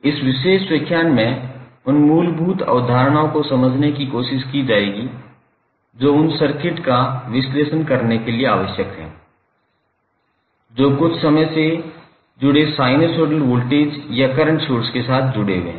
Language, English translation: Hindi, So, basically in this particular lecture, we will try to understand the basic concepts which are required to analyze those circuits which are connected with some time wearing sinusoidal voltage or current source